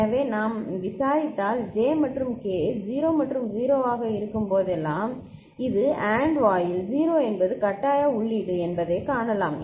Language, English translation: Tamil, So, if we investigate, we see that whenever J and K are 0 and 0 this is AND gate 0 is the forcing input